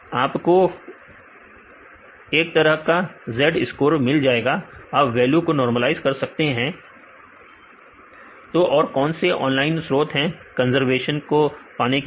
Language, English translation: Hindi, So, you can get kind of Z score you can normalize the values then what are other online resources to get the conservation